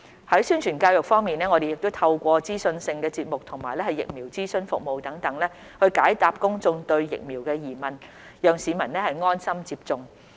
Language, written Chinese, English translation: Cantonese, 在宣傳教育方面，我們透過資訊性節目及疫苗諮詢服務等，解答公眾對疫苗的疑問，讓市民安心接種。, As regards promotion and education we answer public enquiries about the vaccines through for example informative programmes and pre - vaccination consultation services so that members of the public would feel at ease about getting vaccinated